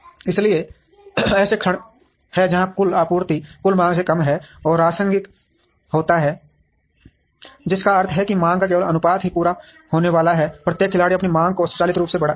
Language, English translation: Hindi, So, the moment there are instances where total supply is less than total demand, and rationing happens which means only a proportion of the demand is going to be met every player would automatically increase their demand